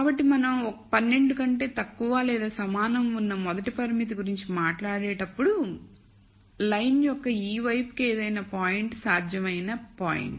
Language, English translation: Telugu, So, when we talk about the first constraint which is less than equal to 12, then any point to this side of the line is a feasible point